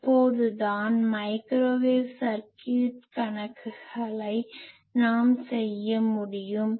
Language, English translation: Tamil, So, that we can do the circuit problems microwave circuit problems